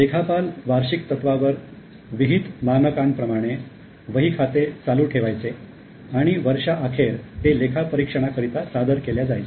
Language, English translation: Marathi, The accountants maintained the books of accounts on annual basis according to prescribe standards and the same were furnished for audit at the end of the year